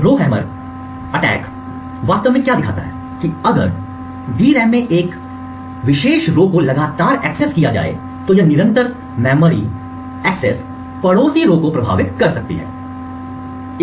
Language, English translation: Hindi, What the Rowhammer vulnerability actually showed was that if a particular row in the DRAM was continuously accessed this continuous memory access could actually influence the neighbouring rows